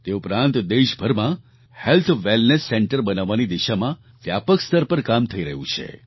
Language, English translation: Gujarati, Also, extensive work is going on to set up Health Wellness Centres across the country